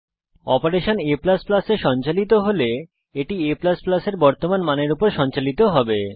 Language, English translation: Bengali, If an operation is performed on a++, it is performed on the current value of a